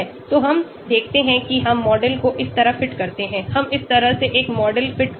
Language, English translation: Hindi, So we see we fit the model this way, we fit a model this way